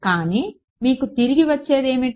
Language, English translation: Telugu, But what do you have that comes back to you